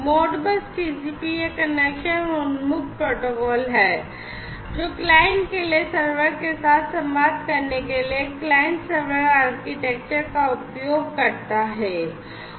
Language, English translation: Hindi, Modbus TCP is a connection oriented protocol and as I said before, which uses client server architecture for the client to communicate with the server